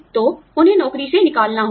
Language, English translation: Hindi, So, they have to be laid off